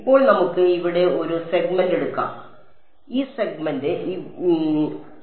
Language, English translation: Malayalam, Now, let us take one segment over here, so, this segment over here